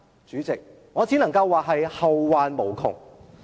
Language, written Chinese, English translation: Cantonese, 主席，我只能說這將會後患無窮。, President all I can say is that the relevant aftermath will run far and deep